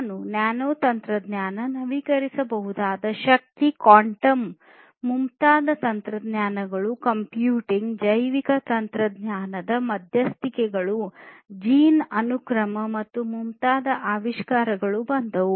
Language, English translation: Kannada, Then came technologies such as nanotechnology, renewable energy , quantum computing, biotechnological interventions innovations like gene sequencing and so on